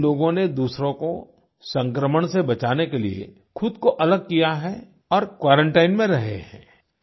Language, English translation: Hindi, These people have isolated and quarantined themselves to protect other people from getting infected